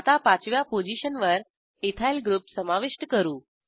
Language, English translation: Marathi, Let us add an Ethyl group on the fifth position